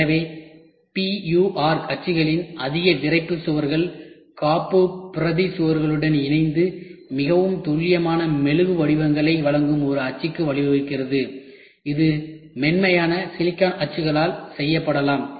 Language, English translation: Tamil, So, the higher rigidity of the PUR mold is combined with the backing up walls lead to a mold that delivers much more precise wax patterns, that could be made by soft silicon molds